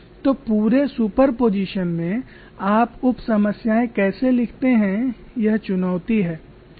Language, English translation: Hindi, So the whole challenge lies in writing out the sub problems